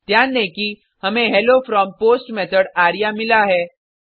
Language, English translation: Hindi, Note that we have got Hello from POST Method arya